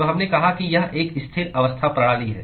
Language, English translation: Hindi, So, we said that it is a steady state system